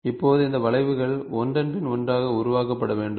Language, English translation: Tamil, So, now, these curves had to be generated one after the other after the other